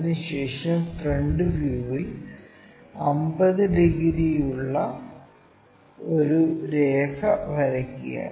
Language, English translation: Malayalam, After, that with 50 degrees in the front view that is also from a ' draw a line